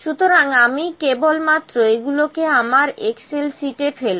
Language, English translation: Bengali, So, I will just spot these to my excel sheet